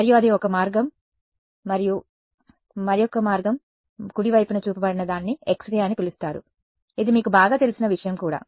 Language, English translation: Telugu, And that is one way and the other way is shown on the right is what is called an X ray which is also something you are all familiar with right